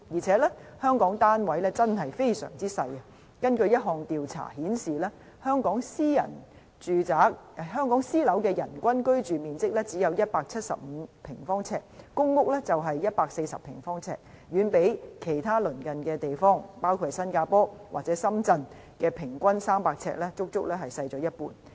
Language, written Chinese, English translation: Cantonese, 此外，香港的單位真的非常細小；根據一項調查顯示，香港私樓的人均居住面積只有175平方呎，公屋是140平方呎，遠比其他鄰近地方300平方呎的平均數，足足少了一半。, Besides housing units in Hong Kong are extremely small . According to one survey the average living space per person for private housing is only 175 sq ft and 140 sq ft for PRH . Both figures are only about half of the average size of 300 sq ft in our neighbouring cities